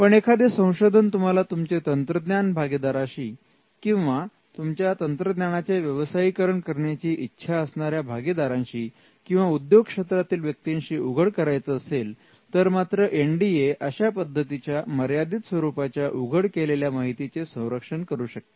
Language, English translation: Marathi, But if you want to disclose it to a technology partner or a partner who is interested in commercializing it or a person from the industry then an NDA can protect a limited disclosure